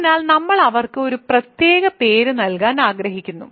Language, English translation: Malayalam, So, we want to give a special name to them